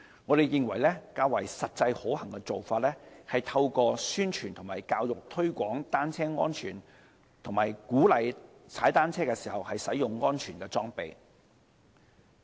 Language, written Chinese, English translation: Cantonese, 我們認為較為實際可行的做法，是透過宣傳和教育推廣單車安全，以及鼓勵騎單車人士使用安全裝備。, We consider that a more practicable approach is to promote cycling safety and encourage cyclists to use safety equipment through education and publicity